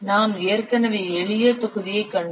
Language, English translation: Tamil, We have already seen simple volume